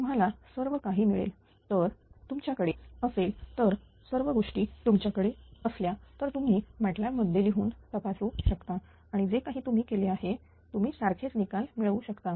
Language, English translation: Marathi, So, all you will get it so if if you have if you if you all these parameters in MATLAB itself after writing their matrix in mat lab itself you can verify and whatever we have done you will find identical result, right